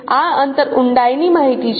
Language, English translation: Gujarati, This distance is the depth information